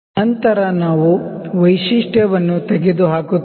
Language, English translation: Kannada, Then we will remove the feature